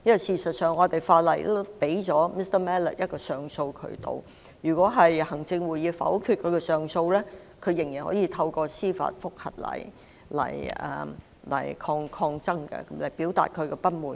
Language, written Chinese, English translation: Cantonese, 事實上，香港法例已提供 Mr MALLET 一個上訴渠道，如果行政會議否決他的上訴，他仍然可以透過司法覆核來抗爭，表達他的不滿。, In fact the laws of Hong Kong already provide Mr MALLET with an appeal channel . If the Executive Council rejects his appeal he may still register his protest and show his discontent by way of a judicial review